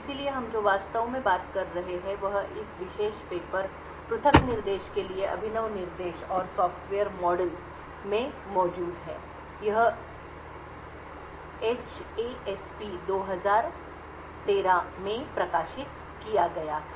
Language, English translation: Hindi, So, a lot of what we are actually talking is present in this particular paper Innovative Instructions and Software Model for Isolated Execution, this was published in HASP 2013